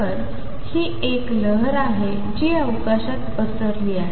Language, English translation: Marathi, So, this is a wave which is spread over space